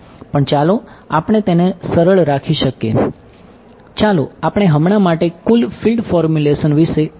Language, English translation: Gujarati, But let us keep it simple let us just think about total field formulation for now ok